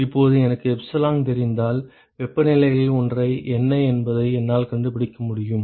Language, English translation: Tamil, Now, if I know epsilon I can find out what is the one of the temperatures